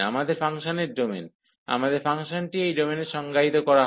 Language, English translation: Bengali, So, our domain of the function so, our function is defined this domain